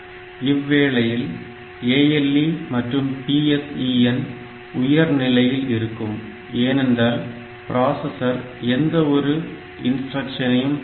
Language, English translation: Tamil, ALE and PSEN will hold at logic high level since it is the processor is not fetching any further instruction